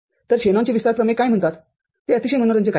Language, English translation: Marathi, So, what Shanon’s expansion theorem says is very interesting